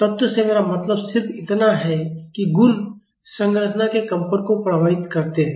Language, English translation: Hindi, By elements, I just mean that the properties influence the vibration of the structure